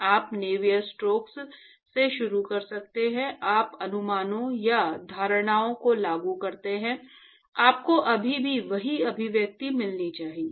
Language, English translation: Hindi, You can start from Navier stokes, you impose the approximations or assumptions, you should still get the same expression